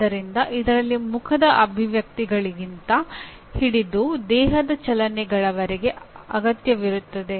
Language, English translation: Kannada, So you require right from facial expressions to body movements you require